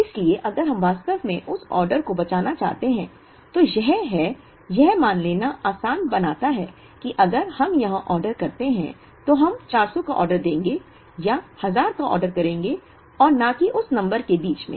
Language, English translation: Hindi, So, if we really want to save that order, it is, it makes it easier to assume that, if we order here we would rather order a 400, or rather order a 1000 and not a number that is in between